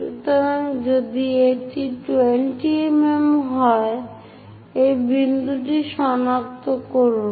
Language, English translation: Bengali, So, if it is 20 mm, locate this point